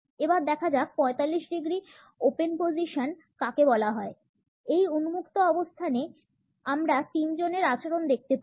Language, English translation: Bengali, Let us look at what is known as 45 degree open position; in this open position we find that the behaviour of three people is to be viewed